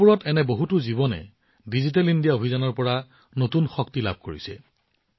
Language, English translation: Assamese, How many such lives in villages are getting new strength from the Digital India campaign